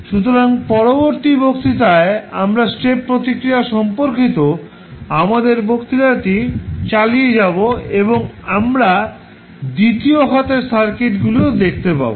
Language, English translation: Bengali, So, in the next lecture we will continue our lecture related to step response and we will also see the second order circuits also